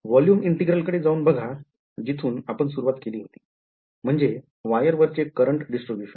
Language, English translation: Marathi, Go back to the volume integral, that we had started with, the current distribution on the wire